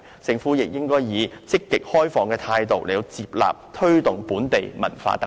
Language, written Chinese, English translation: Cantonese, 政府亦應該以積極、開放的態度，接納和推動本地文化特色。, The Government should also accept and promote local cultural features with a proactive and open attitude